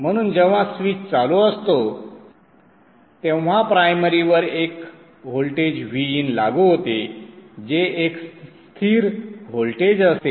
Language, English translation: Marathi, So when the switch is on, there is a voltage V in applied across the primary which is a constant voltage